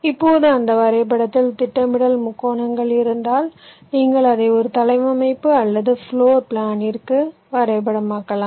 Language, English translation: Tamil, now, if we have the planner triangulations in that graph, you can map it to a layout or a floor plan